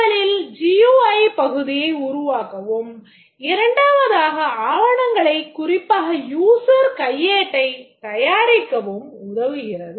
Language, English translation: Tamil, First is in developing the GUI part and second is preparing the documents, especially the user's manual